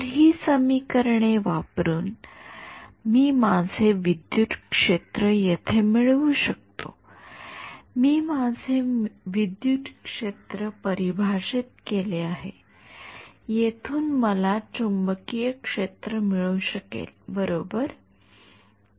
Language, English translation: Marathi, So, using these equations, I can get my I have my electric field here, I have defined my electric field, from here I can get the magnetic field right